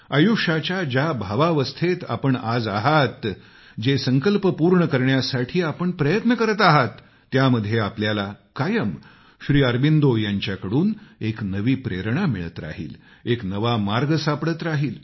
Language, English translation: Marathi, The state of inner consciousness in which you are, where you are engaged in trying to achieve the many resolves, amid all this you will always find a new inspiration in Sri Aurobindo; you will find him showing you a new path